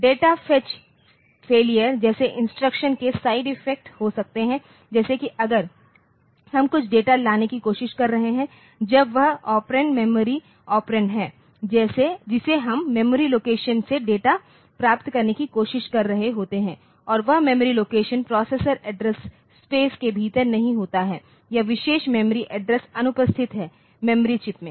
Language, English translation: Hindi, There can be side effect of instruction like data fetch failure, like if we are trying to fetch some data so when one of the operand is the memory operand we are trying to get the data from the memory location and that memory location is not within the address space of the processor or the particular memory address is absent the memory chip is not there